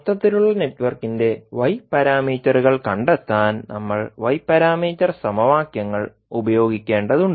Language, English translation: Malayalam, We can find out the Y parameter of the overall network as summation of individual Y parameters